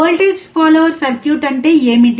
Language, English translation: Telugu, What is voltage follower circuit